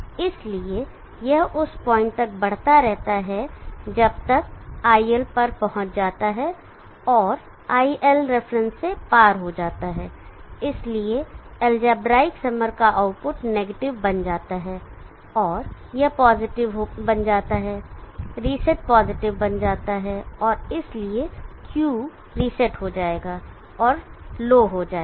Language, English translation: Hindi, iLref is higher than iL this is iLref which is higher than iL, so when iLref is higher than iL the output this algebraic summer will be positive but that is connected to the negative of the comparator and the output will be low, the reset pin will be low no change on Q